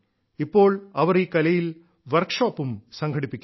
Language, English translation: Malayalam, And now, she even conducts workshops on this art form